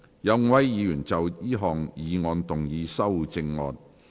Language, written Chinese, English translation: Cantonese, 有5位議員要就這項議案動議修正案。, Five Members wish to move amendments to this motion